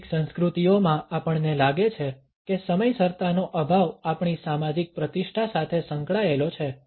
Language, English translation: Gujarati, In some cultures we find that lack of punctuality is associated with our social prestige